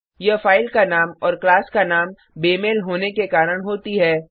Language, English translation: Hindi, It happens due to a mismatch of file name and class name